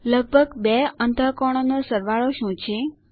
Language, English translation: Gujarati, What is the sum of about two angles